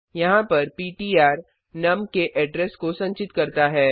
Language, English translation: Hindi, Over here ptr stores the address of num